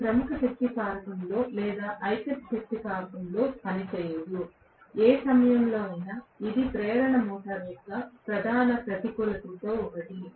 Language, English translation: Telugu, It cannot work in leading power factor, or unity power factor, at any point in time this is one of the major disadvantages of induction motor